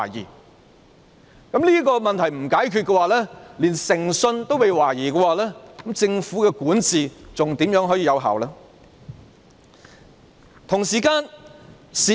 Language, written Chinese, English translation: Cantonese, 如果這個問題未能解決，而當局連誠信也被懷疑的話，政府如何可以有效管治呢？, If this problem remains unresolved and when even the integrity of the Government is questioned how can there be effective governance by the Government?